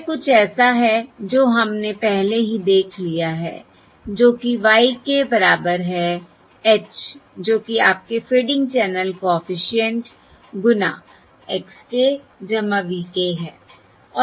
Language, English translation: Hindi, this is something that we have already seen, which is: y k equals h, that is your fading channel coefficient h times x k plus v k